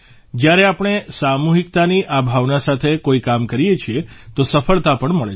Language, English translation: Gujarati, When we perform any work with this spirit of collectivity, we also achieve success